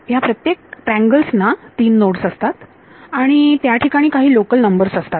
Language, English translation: Marathi, Each of these triangles has three nodes and there will be some local numbers